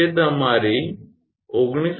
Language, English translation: Gujarati, So, that is your 19